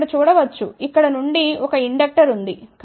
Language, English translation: Telugu, You can see here from here there is an inductor